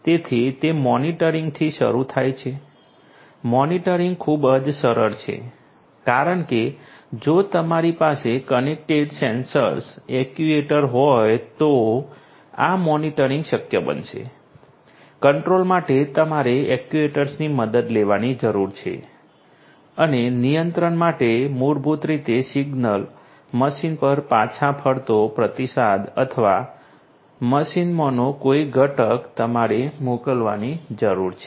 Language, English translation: Gujarati, So, you know it is starts with monitoring, monitoring is very simple because you know if you have the you know connected sensors, actuators it is you know just the sensors you know if you have connected sensors then this monitoring would be possible, for the control you need to take help of the sensor of the actuators and for the control basically you need to send a signal a feedback signal back to the machine or a component in the machine